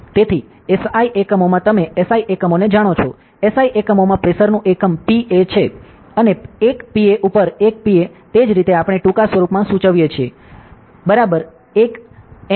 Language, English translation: Gujarati, So, in S I units you know S I units; so, in S I units, the unit of pressure is pascal, and 1 pascal over 1 P a that is how we denote it in short form, is equal to 1 Newton per metre square ok